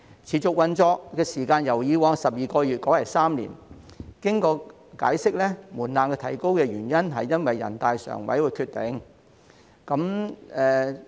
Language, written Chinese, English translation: Cantonese, 持續運作時間由以往12個月改為3年，經解釋後，門檻提高的原因是因應全國人民代表大會常務委員會的决定。, The period for which it has been operating is revised from 12 months to three years . It was explained that the threshold was raised in the light of the decision made by the Standing Committee of the National Peoples Congress